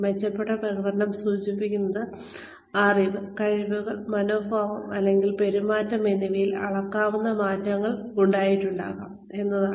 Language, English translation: Malayalam, Improved performance implies that, there may have been measurable changes in, knowledge, skills, attitudes, and or behavior